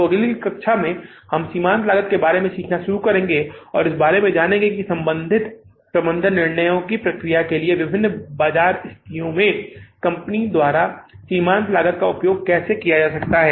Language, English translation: Hindi, So in the next, we'll start talking, learning about the marginal costing and learn about how the marginal costing can be made use of by the firms in the different market situations for the relevant management decision making processes